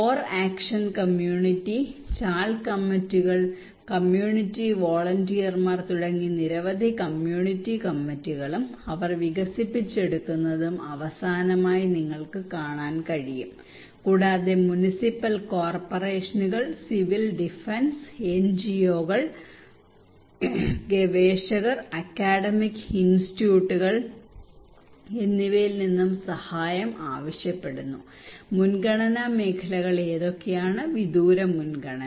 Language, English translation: Malayalam, And finally you can see that they also develop many community committees like Core action community, Chawl committees, Community volunteers also they want help from Municipal Corporations, Civil Defence, NGOs and from the researchers and Academic Institutes, what are the priority areas intermitted priority and remote priority